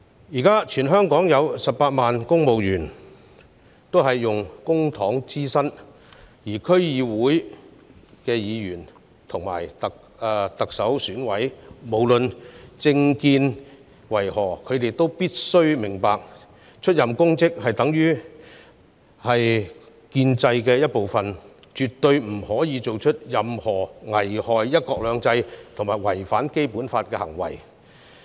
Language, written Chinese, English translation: Cantonese, 現時，全港有18萬名公務員以公帑支薪，而區議會議員及行政長官選舉委員會委員，無論他們的政見為何，也必須明白到出任公職，屬於建制的一部分，絕對不許作出任何危害"一國兩制"及違反《基本法》的行為。, At present there are 180 000 civil servants whose salaries are paid from the public purse . Members of DCs and CEEC must regardless of their personal political views understand that they are part of the establishment and must not commit any act that jeopardizes one country two systems or violates the Basic Law